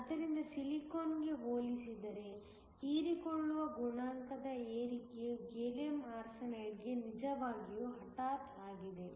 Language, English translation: Kannada, So, that compared to silicon the rise in the absorption coefficient is really abrupt for Gallium Arsenide